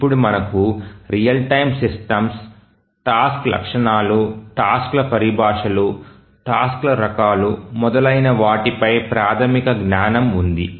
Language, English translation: Telugu, Now that we have some basic knowledge on the real time systems, the task characteristics, terminologies of tasks, types of tasks and so on